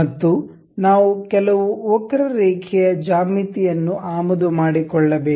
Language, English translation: Kannada, And we need to import some curved geometry